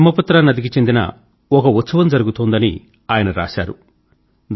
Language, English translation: Telugu, He writes, that a festival is being celebrated on Brahmaputra river